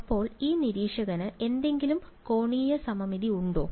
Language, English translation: Malayalam, So, is there any angular symmetry for this observer